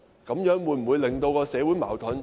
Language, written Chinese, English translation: Cantonese, 這樣會否加深社會矛盾？, Will this deepen social conflict?